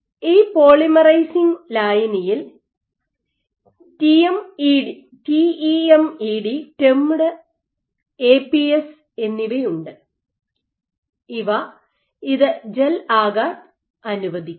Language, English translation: Malayalam, So, this polymerizing solution has TEMED and APS in it and these allow it to gel ok